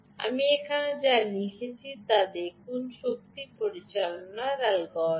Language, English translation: Bengali, look at what i have written here: the power management algorithm